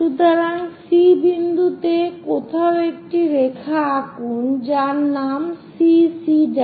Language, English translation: Bengali, So, somewhere at point C draw a line name it CC prime